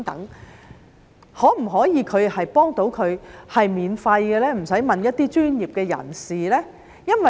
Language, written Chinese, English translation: Cantonese, 是否可以免費幫助他們，使他們不用去問一些專業的人士呢？, Can assistance be provided to them for free so that they do not have to turn to some professionals?